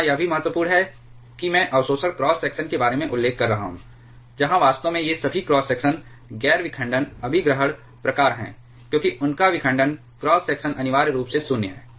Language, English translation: Hindi, It is also important here I am mentioning about absorption cross section where actually all these cross sections are non fission capture kind because their fission cross section is essentially 0